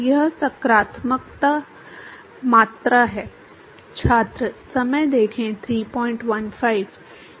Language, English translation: Hindi, it is the positive quantity